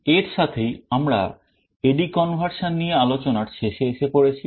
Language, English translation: Bengali, With this we come to the end of this discussion on A/D conversion